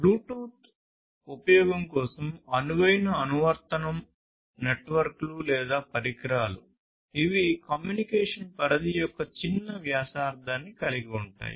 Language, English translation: Telugu, Application where Bluetooth is suitable for use are networks or devices which will have smaller radius of small communication range